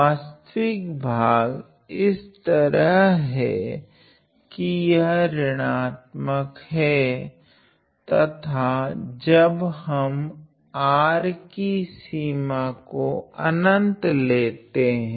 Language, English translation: Hindi, The real part is such that this real part is negative and when we take the limit R tending to infinity